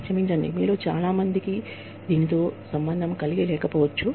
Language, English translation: Telugu, I am sorry, if many of you cannot relate to this